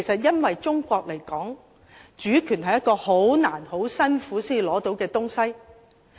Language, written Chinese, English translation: Cantonese, 因為以中國來說，主權是一個很艱難、很辛苦才能獲取的東西。, It is because as far as China is concerned sovereignty is something secured after onerous efforts